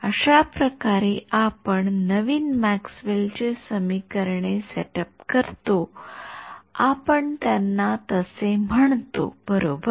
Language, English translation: Marathi, That is how we set up the new Maxwell’s equation as we call them right